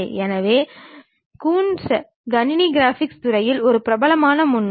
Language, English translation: Tamil, So, Coons is a famous pioneer in the field of computer graphics